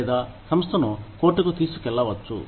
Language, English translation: Telugu, Or, maybe, taking the organization to court